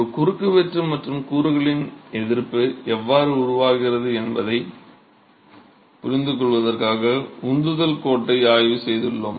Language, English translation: Tamil, We have examined the thrust line as an understanding of how the resistance of a cross section and the component develops